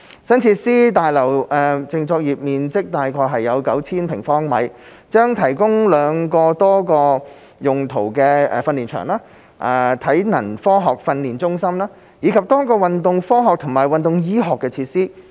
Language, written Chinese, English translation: Cantonese, 新設施大樓淨作業面積約 9,000 平方米，將提供兩個多用途訓練場地、體能科學訓練中心，以及多個運動科學和運動醫學設施。, The new facilities building with about 9 000 sq m of net operating floor area will provide two multipurpose training venues scientific conditioning centre and multiple facilities for sports science and sports medicine